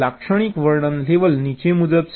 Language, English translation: Gujarati, the typical description levels are as follows